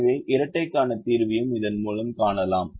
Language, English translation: Tamil, so the solution to the dual can also be found through this